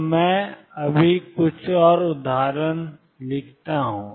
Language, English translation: Hindi, So, let me just write some more examples